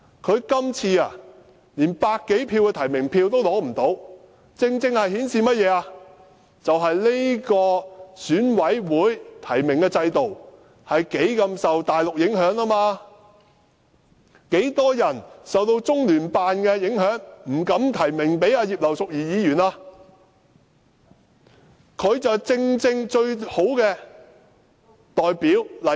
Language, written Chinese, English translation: Cantonese, 她今次連百多票的提名票也取不到，正正顯示出這個選舉委員會的提名制度深受大陸的影響，許多人受到中聯辦的影響而不敢提名葉劉淑儀議員，她正是最好的代表例子。, But she could not even secure 100 - odd nomination votes this time . This precisely shows that the nomination system of the Election Committee is seriously affected by the Mainland . Many Election Committee members dared not vote for Mrs Regina IP under the influence of the Liaison Office of the Central Peoples Government in the HKSAR